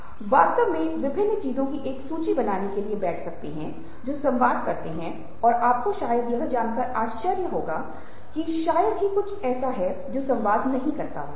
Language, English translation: Hindi, you can, in fact, sit down to make a list of various things that communicate, and you would be surprised to probably find that there is hardly anything which doesnt communicate